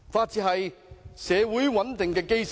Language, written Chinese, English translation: Cantonese, 治安是社會穩定的基石。, Law and order is the cornerstone of a stable society